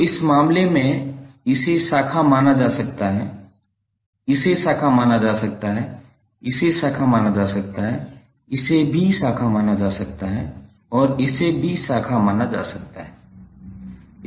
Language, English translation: Hindi, So in this case this can be consider as branch, this can be consider as a branch, this can be consider as a branch this can also be consider as a branch and this can also be consider as a branch